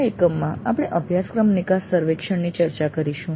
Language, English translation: Gujarati, In this unit we will discuss the course exit survey